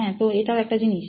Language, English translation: Bengali, And yeah, so that is one thing